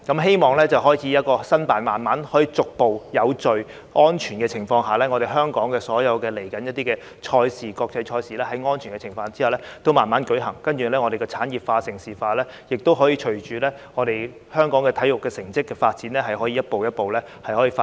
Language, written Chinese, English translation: Cantonese, 希望香港可以逐步在有序和安全的情況下，申辦一些國際賽事，然後在安全的情況下慢慢舉行，讓產業化和盛事化可以隨着香港體育成績的發展逐步發展。, I hope that Hong Kong can later make efforts to bid to host international sports events on the premise of order and safety progressively so that the industrialization of sports and the development of Hong Kong into a centre for major international sports events can gradually be realized as Hong Kongs sports performance improves over time